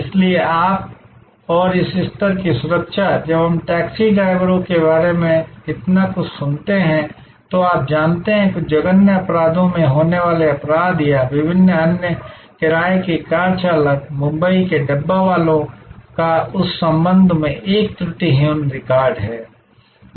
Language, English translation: Hindi, So, you and this level of security, when we hear so much about taxi drivers, you know committing crimes or different other hired car drivers getting into some heinous crimes, the Dabbawalas of Mumbai have an impeccable record in that respect